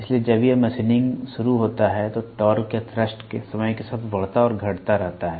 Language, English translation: Hindi, So, as and when it starts machining, the torque or the thrust keeps increasing and decreasing with respect to time